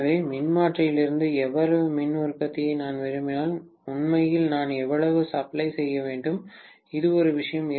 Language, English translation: Tamil, So, if I want so much of power output from the transformer, really how much should I be supplying, this is one thing